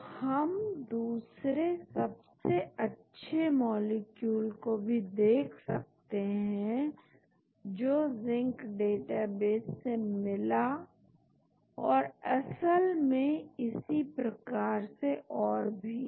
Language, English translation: Hindi, so, we can look at the second best molecule also from the Zinc database and so on actually